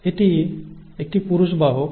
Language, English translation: Bengali, And this is a male carrier